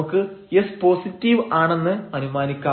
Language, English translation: Malayalam, So, let us assume here r is positive, r can be negative